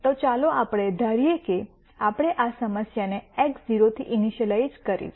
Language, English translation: Gujarati, So, let us assume that we initialized this problem at x naught